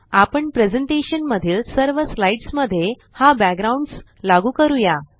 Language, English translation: Marathi, We shall also apply this background to all the slides in the presentation